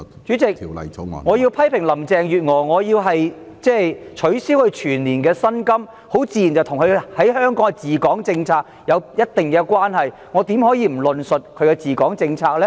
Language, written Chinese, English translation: Cantonese, 主席，我要批評林鄭月娥，削減她的全年薪酬，自然與她的治港政策有一定關係，我怎可以不論述她的治港政策呢？, Chairman my criticism of Mrs Carrie LAM and my request for deducting her annual emoluments naturally have something to do with her policies on Hong Kong . How can I skip talking about her policies on Hong Kong?